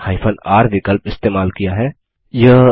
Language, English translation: Hindi, I have used the r option